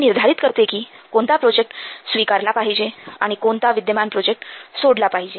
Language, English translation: Marathi, This will decide which project to accept and which existing project to drop